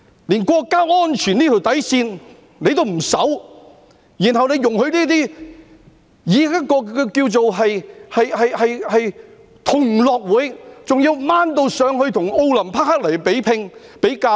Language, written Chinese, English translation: Cantonese, 連國家安全這條底線也不守，然後容許這些以同樂運動會為名......還要提升至與奧林匹克比拚、比較。, Without safeguarding the bottom line of national security they let these so - called Gay Games and even compare it with the Olympics